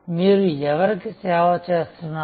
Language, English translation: Telugu, Who are you serving